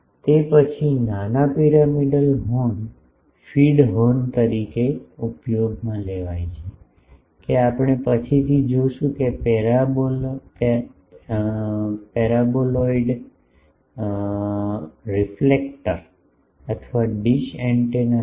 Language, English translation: Gujarati, Then, small pyramidal horns are used as feed horns, that we will see later that for paraboloidal reflector or the dish antenna